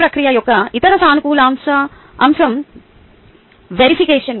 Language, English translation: Telugu, the other positive aspect of this process was cross verification